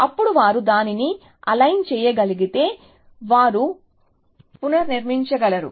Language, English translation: Telugu, Then if they can align that, then they can reconstruct